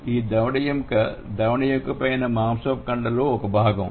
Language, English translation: Telugu, And this jaw bone is a part of your fleshy part above the jaw bone